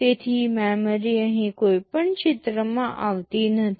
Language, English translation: Gujarati, So, memory is not coming into the picture here at all